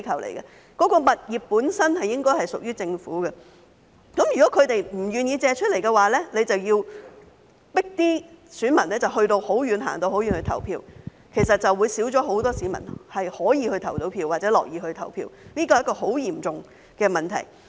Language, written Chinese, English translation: Cantonese, 這些物業本身屬於政府，如果他們不願意借出，政府便要迫選民走很遠的路去投票，導致少了很多市民可以去投票或樂意去投票，這是很嚴重的問題。, These properties belong to the Government and if they are not willing to make available their premises the Government will have to make voters travel a long way to vote . As a result fewer people are able or willing to vote which is a serious problem